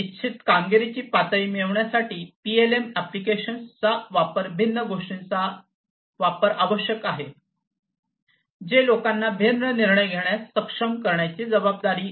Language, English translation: Marathi, PLM applications to get desired performance levels, different applications are required, which are responsible for enabling the people to take different decisions